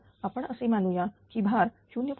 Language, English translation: Marathi, So, I assume that load changes by 0